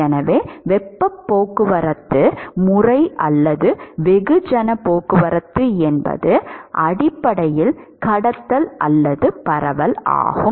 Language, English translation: Tamil, So, therefore, the mode of heat transport or a mass transport is essentially conduction or diffusion